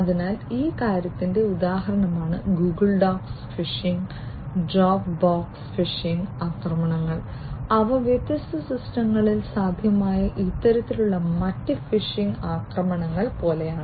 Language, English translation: Malayalam, So, example of this thing is Google docs phishing and Dropbox phishing attacks and they are like these different types of other phishing attacks that are possible on different systems